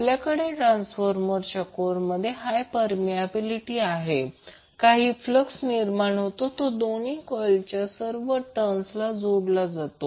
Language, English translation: Marathi, Since we have high permeability in the transformer core, the flux which will be generated links to all turns of both of the coils